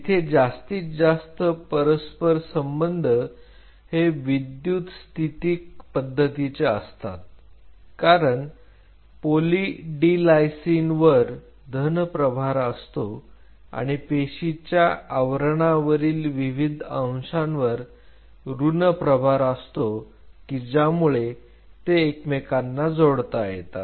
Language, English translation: Marathi, Where most of the interactions are electrostatic interactions because Poly D Lysine having a positive charge interacts with negatively charged moieties on the cell surface and by virtue of which the attachment happens